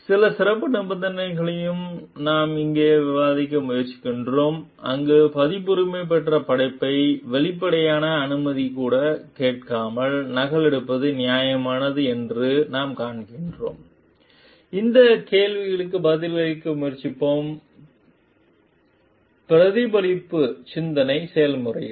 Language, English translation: Tamil, And we are also trying to discuss here some special conditions, where we find it is fair to copy a copyrighted work without even asking for explicit permission, will try to answer this question, with a reflective thought process